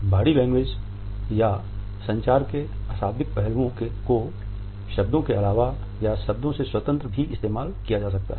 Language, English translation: Hindi, Body language or nonverbal aspects of communication can be used either in addition to words or even independent of words